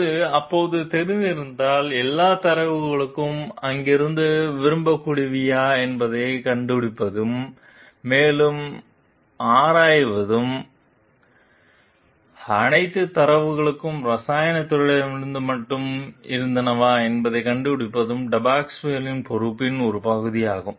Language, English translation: Tamil, If it was known then, it is a part of the Depasquale s responsibility to find out whether all the data where from there to like, investigate further into it was there all the data was from the chemical department only